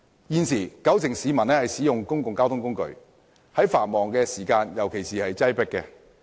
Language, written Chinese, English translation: Cantonese, 現時，九成市民使用公共交通工具，在繁忙時段尤其擠迫。, Currently 90 % of the people are users of modes of public transport which are particularly congested during peak hours